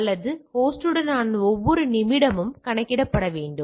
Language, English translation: Tamil, Every minute with that host must be accounted for